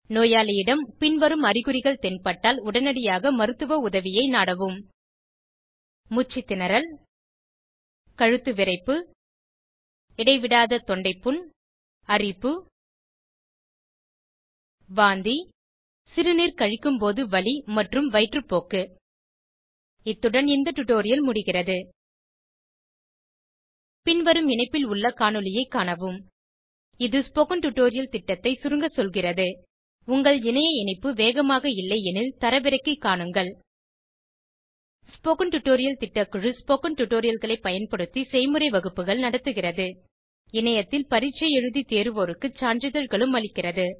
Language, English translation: Tamil, Seek immediate medical help in case the patient shows the following symptoms Irregular breathing Stiff neck Persistent sore throat Rashes * Vomiting Painful urinations Diarrhea This brings us to the end of this tutorial Watch the video available at the following link It summaries the Spoken Tutorial project If you do not have a good bandwidth you can download and watch it The Spoken Tutorial project team conducts workshops using spoken tutorials